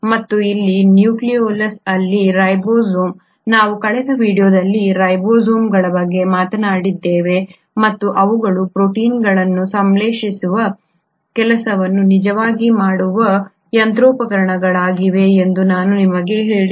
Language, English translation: Kannada, And it is here in the nucleolus that the ribosomes, we spoke about ribosomes in the last video as well where I told you that these are the machineries which actually do the work of synthesising proteins